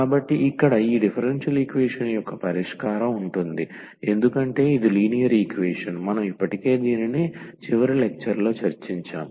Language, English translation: Telugu, So, the solution of this differential equation here will be because it is a linear equation, we have already discussed in the last lecture